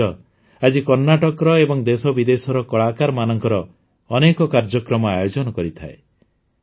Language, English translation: Odia, This platform, today, organizes many programs of artists from Karnataka and from India and abroad